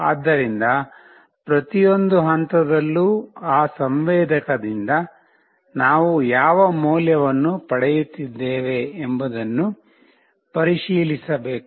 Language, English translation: Kannada, So, at every point in time, we need to check what value we are receiving from that sensor